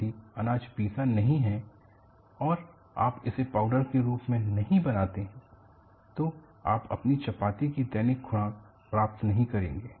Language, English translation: Hindi, If the grain is not ground and you make it as a powder,you are not going to get your daily dose of your chapattis